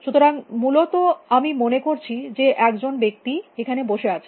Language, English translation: Bengali, So, I think there is a person sitting here especially